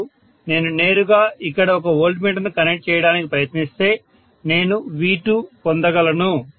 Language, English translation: Telugu, And if I try to connect a voltmeter here directly I would have gotten V2